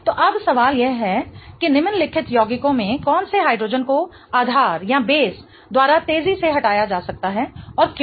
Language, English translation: Hindi, So, now the question is in the following compounds which hydrogens can be removed faster by the base in y, right